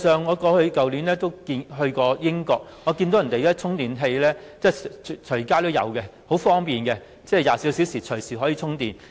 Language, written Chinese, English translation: Cantonese, 我去年曾前往英國，當地的充電設施隨處也有，十分方便，可以24小時隨時充電。, I went to the United Kingdom last year . There were charging facilities for EVs everywhere providing very convenient 24 - hour charging services